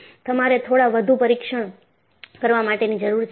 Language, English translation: Gujarati, So, you need to go for little more tests